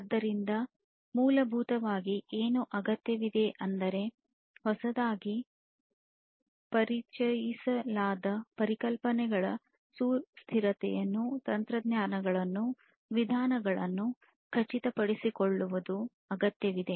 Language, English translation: Kannada, So, what is required essentially is to ensure that the sustainability of the newly introduced concepts technologies methods etc etc continue